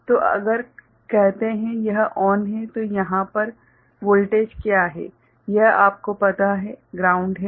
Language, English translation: Hindi, So, if say, this is ON then what is the voltage over here this is you know ground